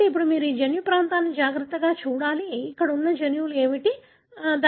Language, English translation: Telugu, So, now you have to carefully look at that genomic region, what are the genes that are present there, right